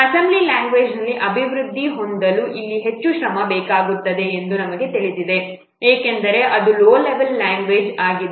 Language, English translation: Kannada, We know that here what it takes more effort when we are developing in the assembly language because it is a low level language